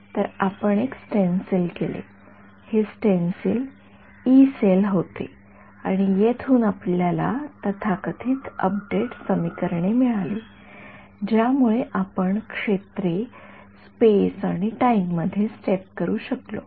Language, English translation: Marathi, So, we made a stencil right, this stencil was the Yee cell right and from here we got the so, called update equations which allowed us to step the fields in space and time